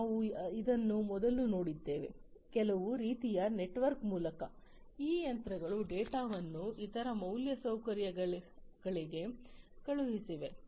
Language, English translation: Kannada, We have seen this before, through some kind of a network, through some kind of a network, these machines are going to send the data to some other infrastructure